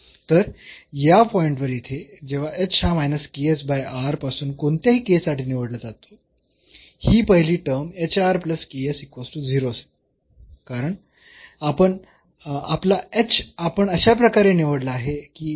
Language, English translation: Marathi, So, on this point here, when h is chosen from this minus ks over r for whatever k, this first term this hr plus ks this will be 0 because, we have chosen our h in such a way that, this hr plus ks is 0